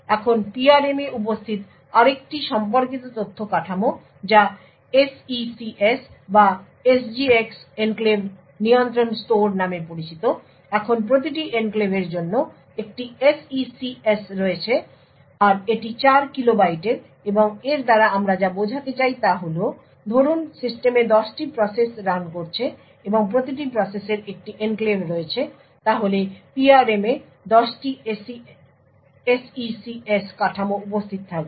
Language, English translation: Bengali, Now another related data structure which is present in the PRM is known as the SECS or the SGX Enclave Control store now for each enclave there is one SECS so it is of 4 kilo bytes and what we mean by this is suppose there are let us say 10 processes running in the system and each process have one enclave then there would be 10 SECS structures present in the PRM